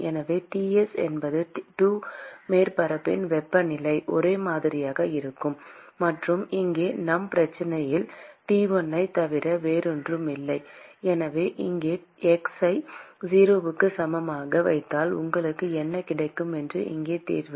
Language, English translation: Tamil, So, T s is the temperature of the 2 surfaces which is same; and that is nothing but T1 in our problem here and so if you put x equal to 0 here, what you get is the solution here